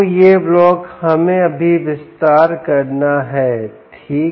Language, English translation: Hindi, so this block we have to elaborate now